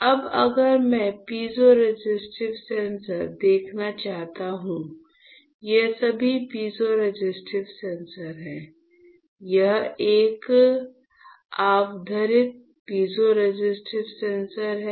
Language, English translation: Hindi, Now if I want to see the piezoresistive sensors right, you can see here, these are all piezoresistive sensors all right; this is one magnified piezoresistive sensor